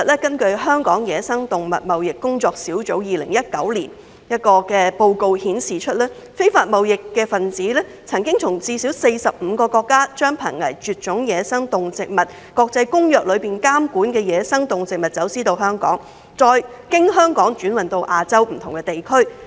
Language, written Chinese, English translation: Cantonese, 根據香港野生動物貿易工作小組在2019年發表的研究報告，非法貿易分子曾從最少45個國家將《瀕臨絕種野生動植物國際貿易公約》監管的野生動植物走私到香港，再經香港轉運至亞洲不同的地區。, According to a study published by the Hong Kong Wildlife Trade Working Group in 2019 illegal traders have smuggled wildlife regulated under the Convention on International Trade in Endangered Species of Wild Fauna and Flora from at least 45 countries into Hong Kong for onward shipment to different parts of Asia